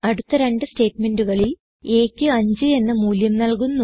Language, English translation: Malayalam, In the next two statements, a is assigned the value of 5